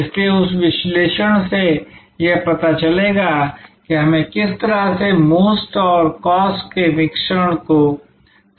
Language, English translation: Hindi, So, that analysis will lead to how we should formulate the mix of MOST and COST